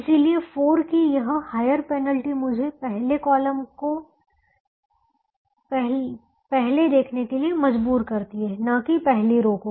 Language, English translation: Hindi, therefore, this penalty, higher penalty of four, makes me look at the first column first and not the first row